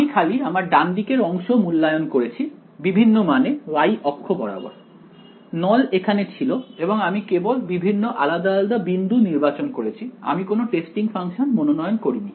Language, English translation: Bengali, I just evaluated the right hand side at different values along the along this y axis, the cylinder was here I just chose different discrete points over here